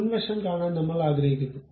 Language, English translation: Malayalam, I would like to see front view